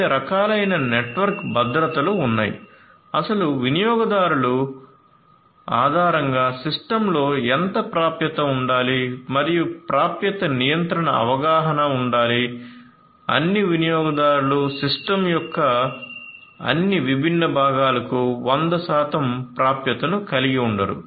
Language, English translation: Telugu, There are different types of network security you know access control based on who the actual users are and how much access this should have in the system, not that all users are going to have 100 percent access to all the different components of the system